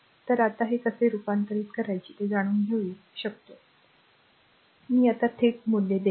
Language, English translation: Marathi, So, you can now you know how to convert it to star, I will now will directly I give the values right